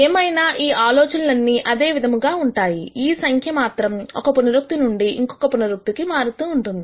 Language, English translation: Telugu, Nonetheless, the ideas are pretty much the same only that this number will keep changing iteration to iteration